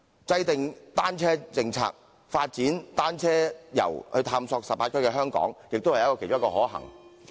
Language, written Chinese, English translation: Cantonese, 制訂單車政策，發展單車遊探索18區的香港，也是其中一個可行做法。, As regards the formulation of a cycling policy the development of cycling tourism to explore the 18 districts of Hong Kong is one of the feasible methods